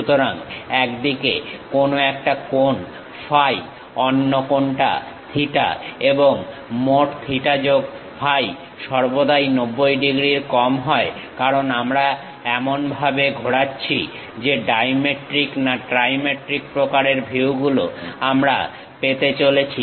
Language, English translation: Bengali, So, something like an angle phi on one side, other angle theta, and total theta plus phi is always be less than is equal to 90 degrees; because we are rotating in such a way that, dimetric ah, trimetric kind of views we are going to have